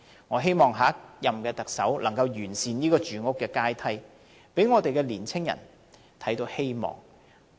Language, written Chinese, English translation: Cantonese, 我希望下一任特首能夠完善住屋階梯，讓年青人看到希望。, I hope the next Chief Executive can optimize the housing ladder so as to give hope to young people